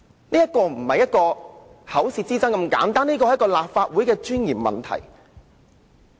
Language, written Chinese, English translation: Cantonese, 這個問題並非單純口舌之爭，而是關乎立法會尊嚴的問題。, This issue is not merely a battle of words but is related to the dignity of the Council